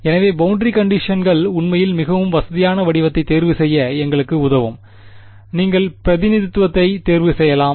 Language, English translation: Tamil, So, boundary conditions are actually what will help us to choose which is the most convenient form, you can choose either representation